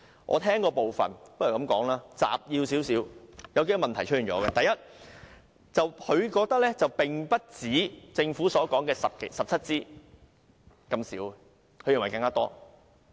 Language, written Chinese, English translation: Cantonese, 我將聽到的部分撮述如下：第一，潘先生認為被剪的鋼筋不只政府所說的17支，應該有更多。, Let me summarize what I heard . First Mr POON thought that the number of steel bars being cut short should be more than 17 as claimed by the Government